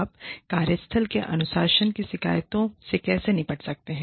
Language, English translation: Hindi, How you can deal with grievances, disciplining in the workplace